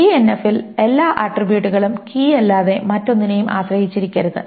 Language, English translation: Malayalam, And 3NF, all attributes must depend on nothing but the key or nothing